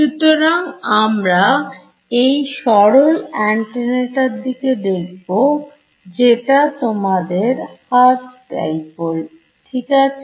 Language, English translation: Bengali, So, we will have a look at this simplest antenna which is your Hertz dipole ok